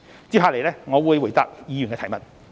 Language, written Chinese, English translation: Cantonese, 接下來我會回答議員的提問。, I am now ready to answer questions from Members